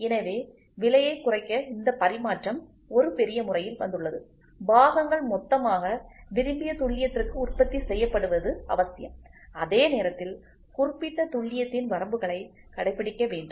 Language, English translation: Tamil, So, in order to reduce the price this interchangeability has come up in a big way, it is essential that the parts are manufactured in bulk to the desired accuracy and at the same time adhere to the limits of accuracy specified